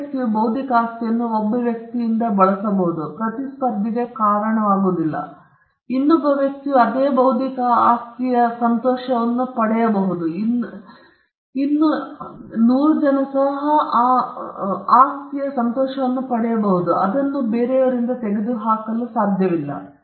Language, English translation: Kannada, Non rivalrous means the use of intellectual property by one person, does not cause rivalry or does not take away the enjoyment of the same intellectual property by another person